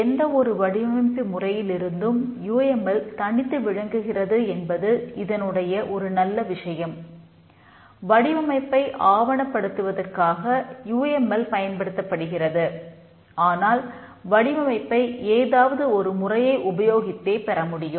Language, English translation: Tamil, UML is used for documenting the design, but the design can be obtained using any methodology